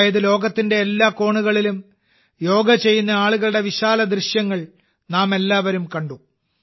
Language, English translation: Malayalam, That is, we all saw panoramic views of people doing Yoga in every corner of the world